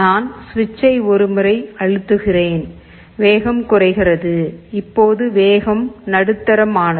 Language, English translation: Tamil, If I press this switch once the speed has decreased, now it is medium